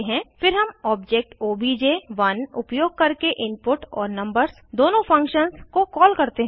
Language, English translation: Hindi, Then we call both the functions input and numbers using the object obj1